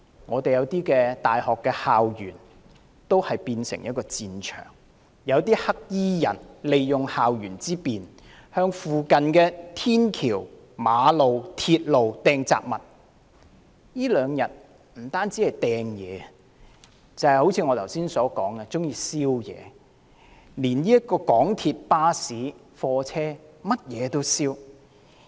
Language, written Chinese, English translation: Cantonese, 部分大學校園亦變成戰場，黑衣人利用校園之便，向附近天橋、馬路、鐵路投擲雜物，這兩天除擲物之外，更一如我剛才所說縱火，港鐵、巴士、貨車等全都遭殃。, The campus of certain universities have also turned into battlefields when black - clad people have taken advantage of their geographical convenience to throw all sorts of objects onto flyovers roads and railway tracks nearby . In addition to throwing objects cases of arson were also reported in the past two days like I said earlier and MTR stations buses and trucks have all become the targets of attack